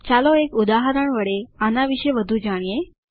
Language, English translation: Gujarati, Let us learn more about it through an example